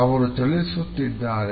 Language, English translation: Kannada, He is moving